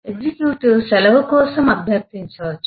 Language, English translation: Telugu, eh, as an executive can request for a leave